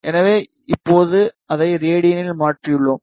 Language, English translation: Tamil, So, now we have converted it in radian